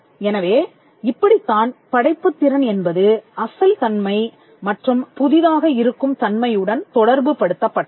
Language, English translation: Tamil, So, this is how creativity came to be attributed to originality or the thing being original or the thing being novel